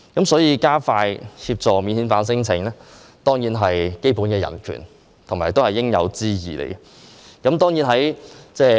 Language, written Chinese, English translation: Cantonese, 所以，加快處理免遣返聲請，當然是關乎基本的人權，也是應有之義。, Hence expediting the processing of non - refoulement claims is definitely related to basic human rights and is also the due responsibility of the Government